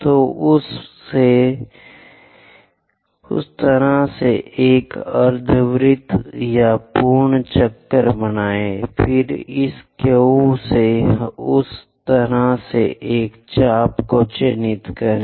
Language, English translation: Hindi, So, make a semicircle or full circle in that way, then from this Q mark an arc in that way